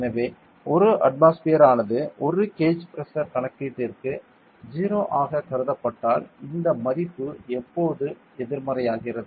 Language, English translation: Tamil, So, since 1 atmosphere was considered as the 0 for a gauge pressure calculation this value becomes negative now